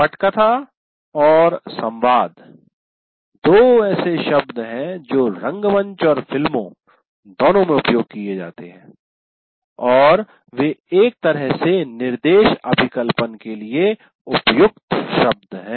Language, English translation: Hindi, So script and dialogues are the two words that are used, let us say, both in theater and movies, and they somehow, there are appropriate words for instruction design